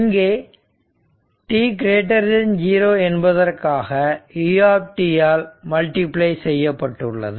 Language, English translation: Tamil, And for t greater than 0, this U t is 1